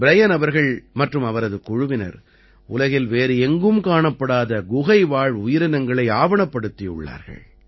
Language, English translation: Tamil, Brian Ji and his team have also documented the Cave Fauna ie those creatures of the cave, which are not found anywhere else in the world